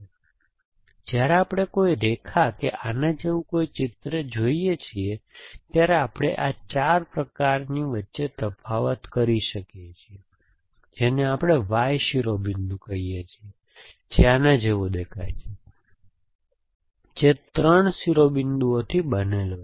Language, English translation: Gujarati, So, when we look at a line, the line, the drawing like this, we can distinguish between 4 kinds of verities, one which we call is the Y vertices which look like this, which is made up of 3 vertices which are looking something like this